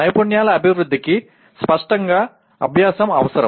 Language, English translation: Telugu, And development of the skills requires practice obviously